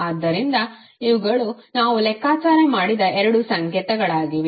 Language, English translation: Kannada, So these are the two signals which we have computed